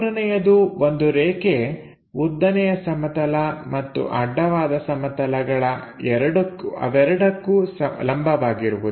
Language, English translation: Kannada, And this is a line perpendicular to both vertical plane and horizontal plane